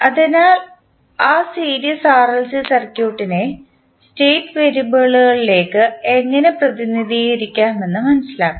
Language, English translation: Malayalam, So, let us understand how we can represent that series RLC circuit into state variables